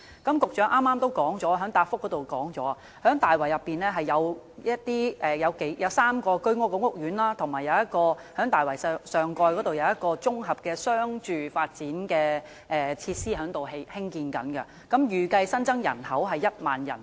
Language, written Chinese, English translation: Cantonese, 局長剛才在主體答覆中也提到，大圍區內有3個居屋屋苑及港鐵大圍站上蓋的綜合商住發展設施正在興建，預計新增人口為1萬人。, The Secretary has also mentioned in the main reply that three HOS courts and the comprehensive residential cum commercial topside development above the MTR Tai Wai Station are under construction and it is expected that the population will increase by 10 000